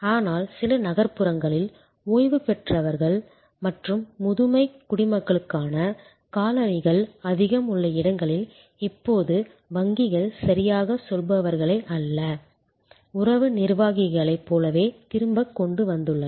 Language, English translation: Tamil, But, in some urban areas, where there are colonies having lot of retired people and for seiner citizens, now the banks have brought back not exactly tellers, but more like relationship executives